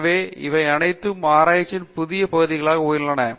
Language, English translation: Tamil, So, all these have given raise to new areas of research